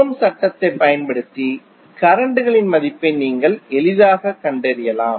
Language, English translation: Tamil, You can easily find out the value of currents using Ohm's law